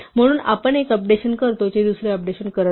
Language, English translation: Marathi, So, we update one it will not update the other